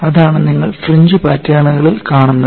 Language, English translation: Malayalam, And that is what you see in the fringe patterns